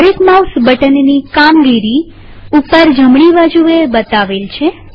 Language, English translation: Gujarati, The role of each mouse button is shown on the top right hand side